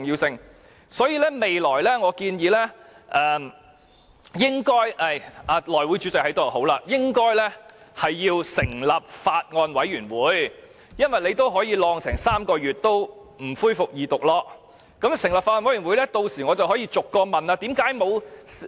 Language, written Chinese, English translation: Cantonese, 所以，我建議未來應該——內務委員會主席在席真好——要成立法案委員會，因為既然當局可以擱置《條例草案》3個月不恢復二讀，若成立法案委員會，我便可以逐項提問。, Therefore I suggest that in the future―it is great that the Chairman of the House Committee is present―a Bills Committee should be formed . Since the Administration could shelve the Bill for three months before resuming its Second Reading I will be able to ask questions item by item if a Bills Committee is formed